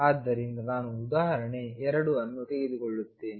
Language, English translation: Kannada, So, let me take example 2